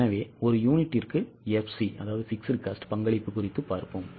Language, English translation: Tamil, So, we go for FC upon contribution per unit